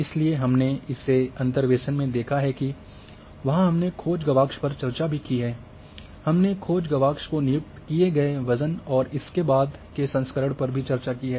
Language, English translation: Hindi, So, we have seen in interpolation there we have discussed the search window; we have discussed the weight assigned to the search window and so on so forth